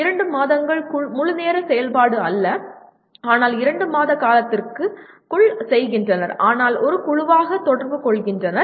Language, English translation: Tamil, 2 months in the sense not full time activity but they do over a period of 2 months but as a group interacting